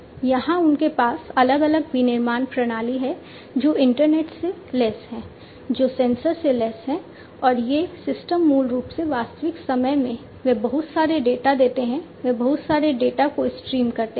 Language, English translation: Hindi, Here they have different manufacturing systems which are internet equipped, these are sensor equipped and these systems basically in real time they throw in lot of data, they stream in lot of data